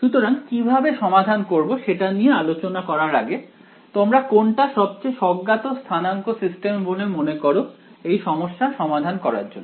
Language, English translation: Bengali, Now, let us before we get into solving this, what do you think is the most sort of intuitive coordinate systems to solve this problem